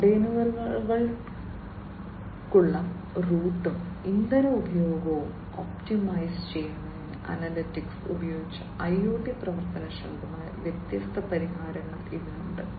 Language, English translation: Malayalam, It has different solutions which are IoT enabled, which used analytics to optimize the route and fuel consumption for containers